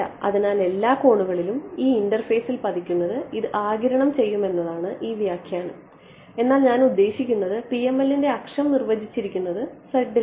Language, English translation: Malayalam, So, this interpretation that we had over here this is absorbing at all angles that are incident on this interface, but I mean the axis of PML is defined by z